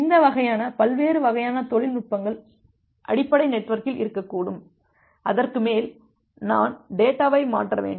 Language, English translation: Tamil, So, there that can be this kind of the various type of technologies which are there in the underlying network, and on top of that I need to transfer the data